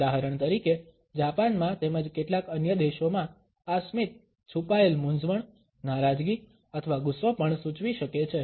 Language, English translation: Gujarati, For example, in Japan as well as in certain other countries I smile can also indicate a concealed embarrassment, displeasure or even anger